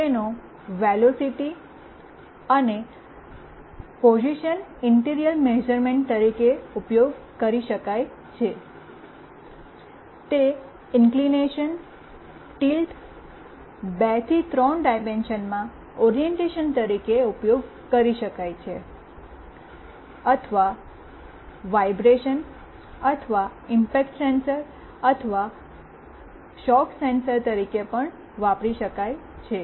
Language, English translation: Gujarati, It can be used as an inertial measurement of velocity and position, it can be also used as a sensor of inclination, tilt, or orientation in 2 to 3 dimensions, or it can also used as a vibration or impact sensor, or shock sensor